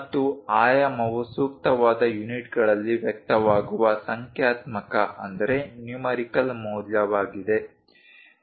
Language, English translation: Kannada, And, a dimension is a numerical value expressed in appropriate units